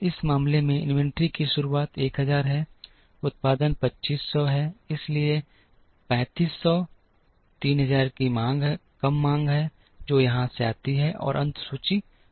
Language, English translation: Hindi, In this case beginning inventory is 1000, production is 2500, so 3500 less demand of 3000, which comes from here and the ending inventory is 500